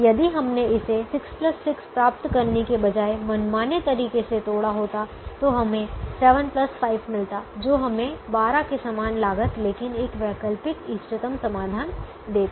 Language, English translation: Hindi, if we had broken it arbitrarily, instead of, instead of getting six plus six, we would have got seven plus five, which would have given us the same twelve and the same cost, but an alternate optimum solution